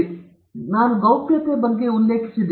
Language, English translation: Kannada, So, this is what I mentioned about confidentiality